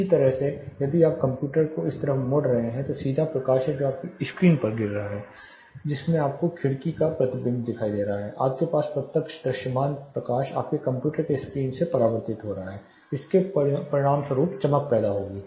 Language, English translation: Hindi, Similarly if you are turning the computer to this side there is a direct light which is falling you have a reflection of the window you have direct you know visible light getting reflected from your computer screen again this will result in glare